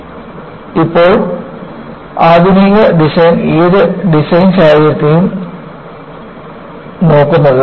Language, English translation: Malayalam, That is how, now, modern design looks at any design scenario